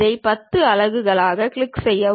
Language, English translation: Tamil, Click this one as 10 units